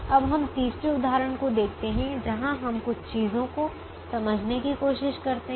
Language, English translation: Hindi, now let us look at a third example where we try and understand a few things